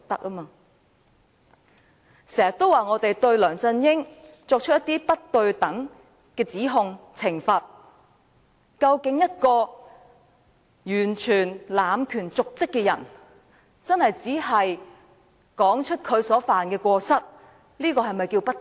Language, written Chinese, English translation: Cantonese, 有人經常指責我們對梁振英作出不公平的指控和懲罰，但對於一個完全濫權瀆職的人，說出他所犯的過失，是否叫做不公平？, Some people always criticize us for making unfair accusations against LEUNG Chun - ying and trying to punish him but in dealing with a person who is in complete dereliction of duty is it unfair to expose his wrongdoings?